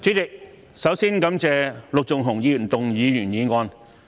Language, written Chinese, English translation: Cantonese, 主席，首先感謝陸頌雄議員動議原議案。, President first of all I would like to thank Mr LUK Chung - hung for moving the original motion